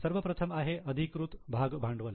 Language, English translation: Marathi, The first one is authorize share capital